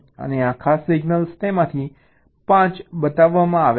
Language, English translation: Gujarati, and these special signals, five of them are shown